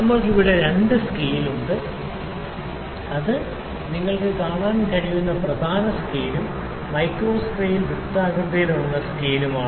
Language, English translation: Malayalam, So, we have two scales here the main scale, this is the main scale you can see and the micro scale the circular scale we call it